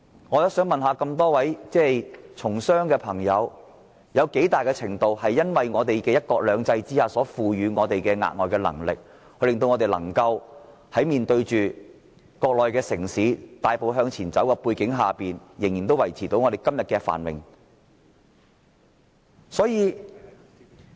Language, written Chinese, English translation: Cantonese, 我想問問一眾從商的議員，香港的競爭力有多少是來自"一國兩制"賦予我們的額外能力，令我們面對國內城市大步向前走仍能維持今天的繁榮？, I have a question for Members from the business sector . To what extent does Hong Kongs competitiveness come from the advantage brought by one country two systems which help us stay prosperous despite the rapid development of the Mainland cities?